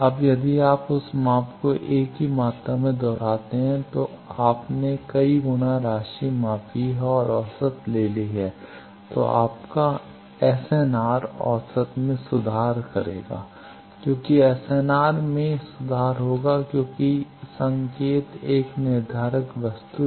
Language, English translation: Hindi, Now, if you repeat that measurement same quantity you measured several times sum measurement and take average of that, your SNR will improve averaging, in improving SNR why because signal is a deterministic thing